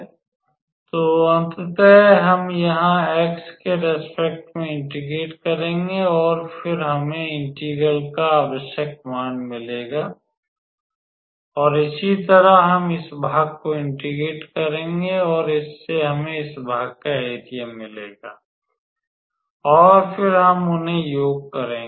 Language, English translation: Hindi, So, ultimately we will integrate with respect to x here and then that will give us the required value of the integral and similarly we will integrate this part and that will give us the area of this part and then we will sum them